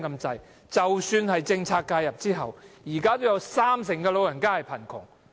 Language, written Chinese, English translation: Cantonese, 即使政策介入後，現在仍有三成長者處於貧窮。, Even with policy intervention 30 % of the elderly people are still living in poverty